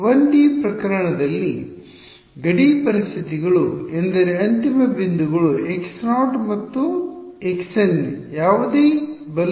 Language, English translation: Kannada, Boundary conditions in the 1D case simply means end points x naught and x n whatever right